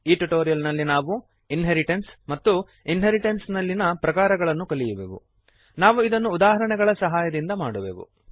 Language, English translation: Kannada, In this tutorial we will learn, Inheritance Types of inheritance We will do this with the help of examples